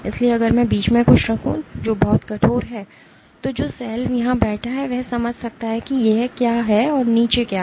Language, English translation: Hindi, So, if I put something in between which is very stiff, the cell which is sitting here might be able to sense what is sitting here or down there